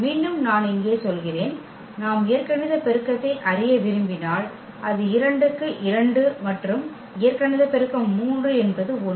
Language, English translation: Tamil, Again I mean here, the if we want to know the algebraic multiplicity so it is 2 4 2 and the algebraic multiplicity of 3 is 1